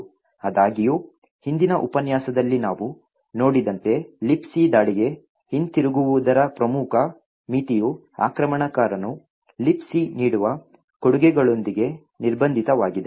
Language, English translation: Kannada, However, as we seen in the previous lecture the major limitation of the return to libc attack is the fact that the attacker is constrained with what the libc offers